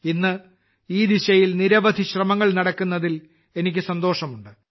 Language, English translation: Malayalam, I am happy that, today, many efforts are being made in this direction